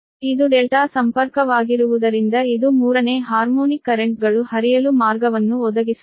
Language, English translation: Kannada, delta will, because it is a delta connection, so it provides a path for third harmonic currents to flow